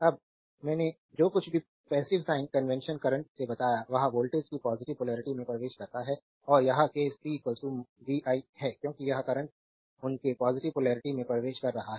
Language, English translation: Hindi, Now whatever I told right by the passive sign convention current enters through the positive polarity of the voltage and this case p is equal to vi, because this current is entering through their positive polarity